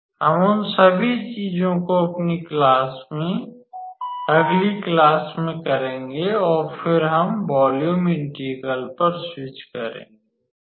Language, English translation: Hindi, We will do all those things in our next class and then, we will switch to volume integral